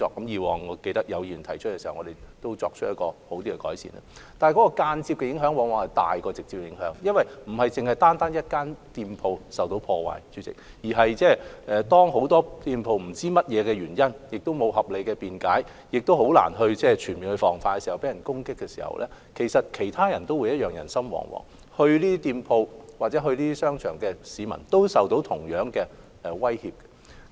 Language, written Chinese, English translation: Cantonese, 然而，間接的影響往往較直接的影響為大，因為當不是單單一間店鋪受破壞，而是很多店鋪在原因不明，沒有合理辯解，亦難以全面防範的情況下受到別人全面攻擊時，其實其他人亦會人心惶惶，光顧這些店鋪或商場的市民也會受到同樣威脅。, Nevertheless the indirect impact is often much more profound than the direct one because when not only one single shop has been vandalized but a great many shops are attacked extensively by people for unknown reasons without any reasonable excuse and it is also difficult to make comprehensive prevention other people would actually become panic - stricken and members of the public patronizing these shops or shopping malls would also be exposed to the same threat